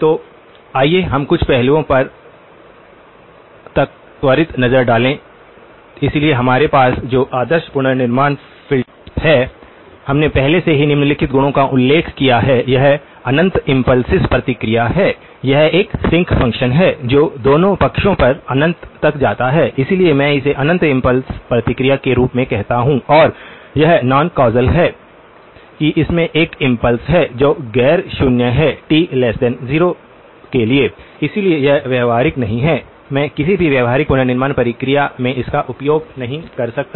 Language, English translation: Hindi, So, let us take a quick look at some of the aspects okay, so the ideal reconstruction filter that we have; we already noted the following properties, it is infinite impulse response, it is a sinc function that goes to infinity on both sides, so I call it as infinite impulse response and it is non causal that it has an impulse response which is non zero for t less than 0, so this is not practical, I cannot use this in any practical reconstruction process